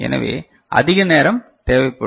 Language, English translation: Tamil, So, more time is required right